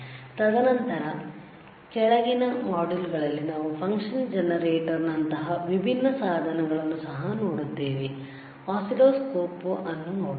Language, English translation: Kannada, And then in following modules we will also see different equipment such as function generator, you will see oscilloscope, right